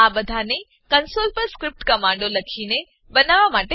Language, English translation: Gujarati, They were created with the help of script commands written on the console